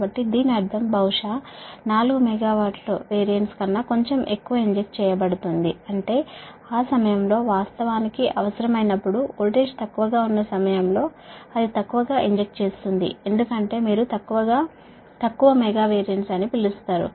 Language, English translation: Telugu, so that means slightly more than perhaps four megavar will be injected, right, that means whenever it is needed, actually at the time, because the voltage is low at the time, it injects less, your, what you call less megavar